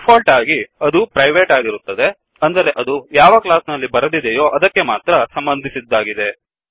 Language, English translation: Kannada, By default it is private, that is accessible only within the class where it is written